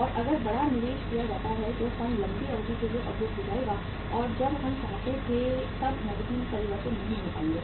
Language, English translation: Hindi, And if the large investment is made the funds will be blocked for the longer duration and will not be able to convert into cash as and when we wanted